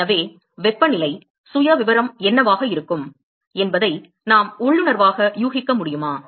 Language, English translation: Tamil, So, we can intuitively guess what is going to be the temperature profile